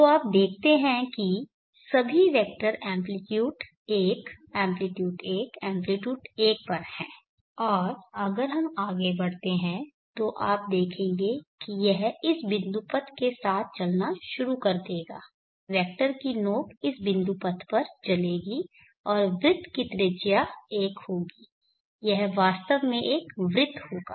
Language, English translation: Hindi, Then the max value will be 1 so you see that the vectors are all amplitude 1 amplitude 1 amplitude 1 so on and if we proceed you will see that it will start moving along this locus the tip of the vector will move on this locus and the radius of this circle will be 1 it will in fact be a circle because every other intermediate point can be reached by vcos 2